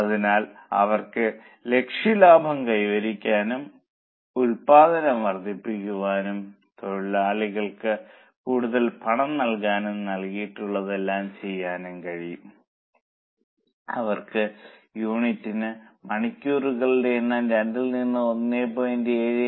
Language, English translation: Malayalam, So, they will be able to achieve the target profit, increase the production, give more payment to workers, do everything provided, they can reduce the number of hours per unit from 2 to 175